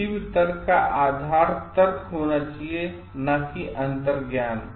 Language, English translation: Hindi, The basis for any argument should be reasoning and not intuition